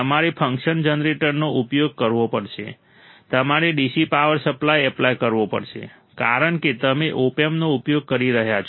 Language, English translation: Gujarati, You have to use function generator, you have to apply a dc power supply because you are using an opamp